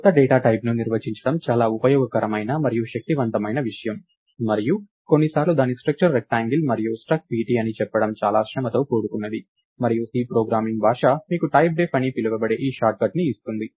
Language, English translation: Telugu, So, this defining new data types is a very useful and powerful thing and some times it gets very tedious to say that its struct rectangle and struct pt and so, on and C programming language gives you this short cut called typedef